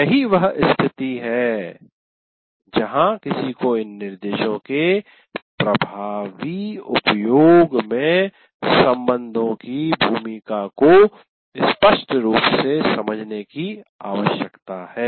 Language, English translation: Hindi, And that is where it needs to, one needs to clearly understand the role of this relationship in making effective use of these instruction types